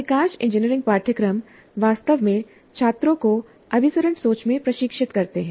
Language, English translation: Hindi, And most of the engineering curricula really train the students in convergent thinking